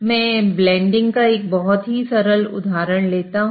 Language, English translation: Hindi, So to that, let me take a very simple example of blending